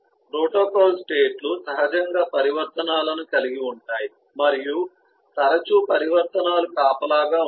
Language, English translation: Telugu, protocol states eh do have eh naturally have transitions and often the transitions are eh guarded